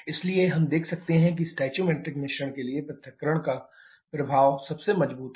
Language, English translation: Hindi, So we can see the effect of disassociation is a strongest at for the stoichiometric mixture